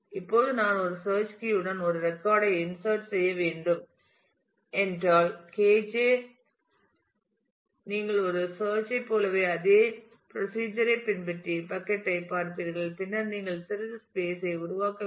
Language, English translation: Tamil, Now if I have to insert a record with a search key K j; you will follow that same procedure as a lookup and look at the bucket j and then you will have to look for making some space